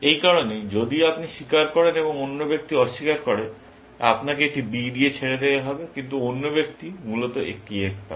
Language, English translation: Bengali, That is why, if you confess and the other person denies, you are let off with a B, but other person gets an F, essentially